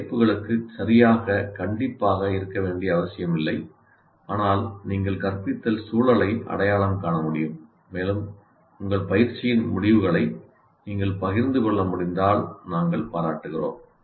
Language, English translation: Tamil, You don't have to be exactly strict to these titles, but you can identify the instructional context and you would appreciate if you can share the results of your exercise